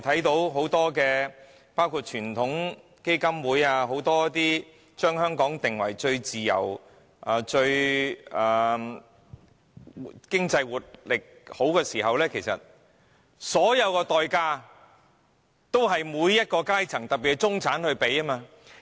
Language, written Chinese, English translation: Cantonese, 雖然美國傳統基金會將香港評為最自由及有良好經濟活力的經濟體，但其實所有代價均由各階層付出。, While the American Heritage Foundation has ranked Hong Kong the freest and the most robust economy the achievement is actually the combined efforts of all the classes particularly the middle class of Hong Kong